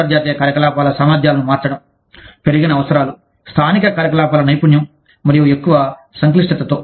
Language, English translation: Telugu, Changing capabilities of international operations, with increased needs for, up skilling of local operations and greater complexity